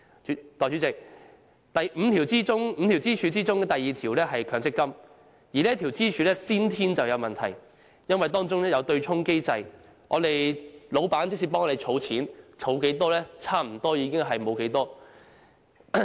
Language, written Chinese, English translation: Cantonese, 代理主席 ，5 根支柱中的第二根是強積金，而這根支柱存在先天問題，因為當中有對沖機制，即使老闆為我們儲錢，但所儲的差不多被對沖抵銷。, Deputy President the second pillar of the five - pillar model is MPF yet this pillar is fraught with inherent inadequacies . Due to the offsetting mechanism under MPF the contributions made by employers for employees will nearly be fully offset